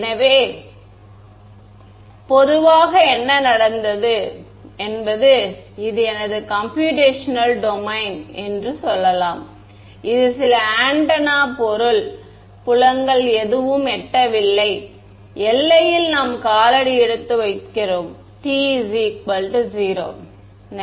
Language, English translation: Tamil, So, typically what has happened is let us say this is my computational domain over here this is some antenna some object over here at time t is equal to 0 none of the fields have reached the boundary right we are stepping in time